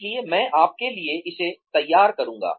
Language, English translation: Hindi, So, I will just draw this out for you